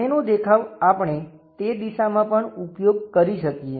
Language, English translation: Gujarati, The front view we could have used in that direction also